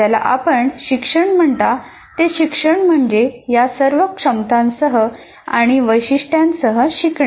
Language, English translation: Marathi, That's what we, when you say education, it is a learning with all these features, all these abilities constitutes education